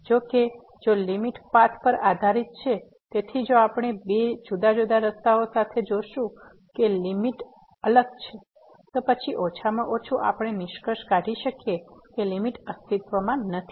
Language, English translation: Gujarati, However, if the limit is dependent on the path, so if we find along two different paths that the limit is different; then, at least we can conclude that limit does not exist